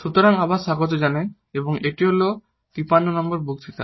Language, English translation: Bengali, So, welcome back and this is lecture number 53